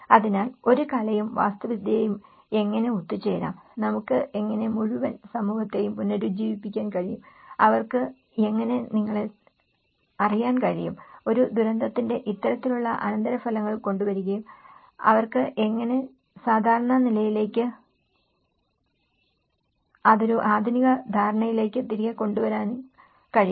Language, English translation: Malayalam, So, how an art and architecture can come together, how we can actually revitalize the whole community and how they can actually you know, come up with this kind of aftermath of a disaster and how they can actually bring back to the normal and that to in a more of a modernistic understanding